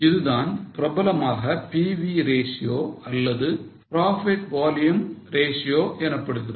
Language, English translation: Tamil, It is also more popularly it is known as pv ratio or profit volume ratio